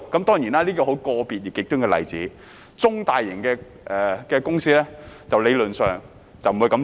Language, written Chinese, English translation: Cantonese, 當然，這是個別極端的例子，中大型的公司理論上不會這樣做。, Of course this is an extreme individual case . In theory medium and large companies would not do so